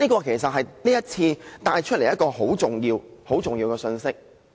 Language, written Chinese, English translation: Cantonese, 這是這次辯論所帶出的一個很重要的信息。, This is a very important message sent out by this debate